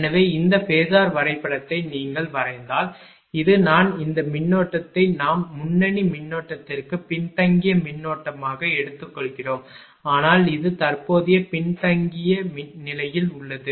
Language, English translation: Tamil, So, if you if you draw the phasor diagram for this one this is I, this current we are taking as a lagging current for the leading current also we will see, but this is lagging current right